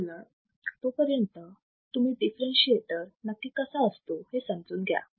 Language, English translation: Marathi, So, till then you understand what exactly is a differentiator